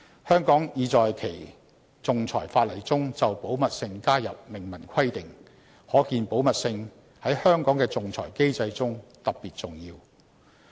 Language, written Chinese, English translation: Cantonese, 香港已在其仲裁法例中就保密性加入明文規定，可見保密性在香港的仲裁機制中特別重要。, Confidentiality has special importance in Hong Kongs arbitration regime in that Hong Kong has seen fit to incorporate an express provision on confidentiality in its arbitration legislation